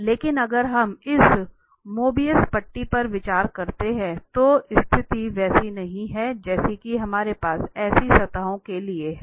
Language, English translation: Hindi, But if we consider this Mobius stripe then the situation is not so what we have here for such surfaces